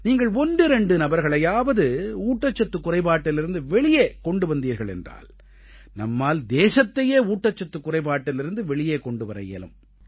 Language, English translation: Tamil, If you manage to save a few people from malnutrition, it would mean that we can bring the country out of the circle of malnutrition